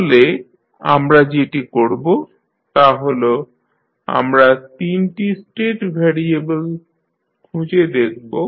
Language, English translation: Bengali, So, what we will do, we will find 3 state variables in this case